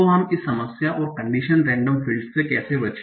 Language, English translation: Hindi, So how do we avoid this problem in condition random fields